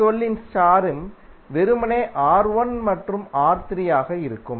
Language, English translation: Tamil, And R1 2 in star would be simply R1 plus R3